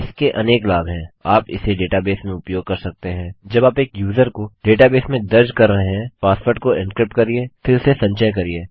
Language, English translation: Hindi, This has many uses, you can use it in data bases when you are registering a user in a data base, encrypt the password then store it